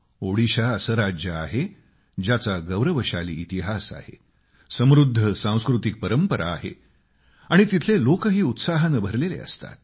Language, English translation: Marathi, Odisha has a dignified historical background and has a very rich cultural tradition